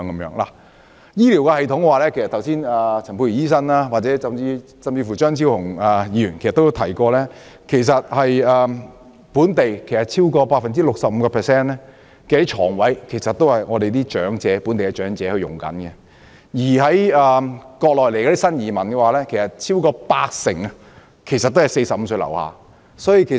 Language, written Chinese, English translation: Cantonese, 在醫療方面，剛才陳沛然醫生甚至張超雄議員已提到，超過 65% 的醫院床位是供本地長者使用，至於從國內來港的新移民，超過八成是45歲以下人士。, On health care as mentioned by Dr Pierre CHAN and even Dr Fernando CHEUNG over 65 % of the hospital beds are occupied by local elderly persons; and that over 80 % of the new immigrants from the Mainland are below the age of 45